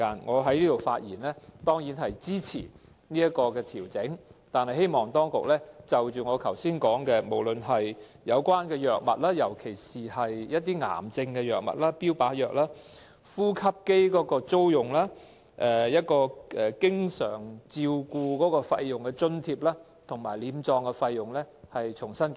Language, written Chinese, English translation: Cantonese, 我在此發言，當然是要支持有關的費用調整，但我希望當局重新進行檢討津助範圍，包括我剛才提及的藥物、呼吸機的租用、經常照顧費用的津貼和殮葬費等事宜。, I speak of course in support of the relevant adjustment in the rates of compensation . However I hope that the authorities can re - examine the coverage of the subsidies including subsidies related to drugs especially cancer drugs and targeted therapy drugs rental of ventilators allowance for constant attention and funeral expenses etc